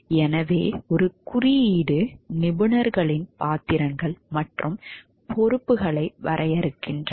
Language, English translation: Tamil, So, a code defines the roles and responsibilities of the professionals